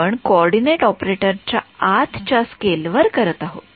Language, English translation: Marathi, We are scaling the coordinates within the operator within the operator